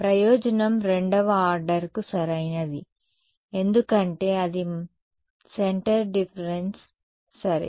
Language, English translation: Telugu, So, advantage was accurate to second order right because its a centre difference ok